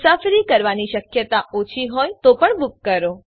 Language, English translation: Gujarati, Book even if the chance of travel is small